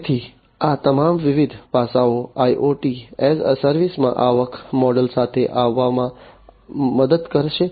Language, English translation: Gujarati, So, all these different aspects will help in coming up with the revenue model in the IoT as a service